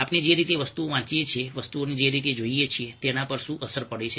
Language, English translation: Gujarati, what are the implications of the way we read things on the way we look at things